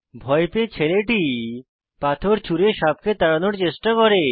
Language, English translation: Bengali, The scared boy tries to shoo away the snake by throwing a stone